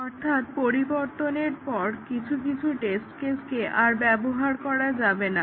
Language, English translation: Bengali, So, some of the test cases cannot be used anymore, after the change